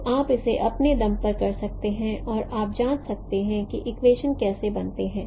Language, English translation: Hindi, So you can do it on your own and you can check how these equations are formed